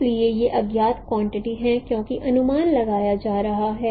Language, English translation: Hindi, So these are the unknown quantity because those are going to be estimated